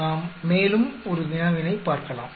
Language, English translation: Tamil, Let us look at one more problem